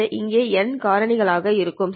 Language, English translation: Tamil, But this factor gets multiplied n times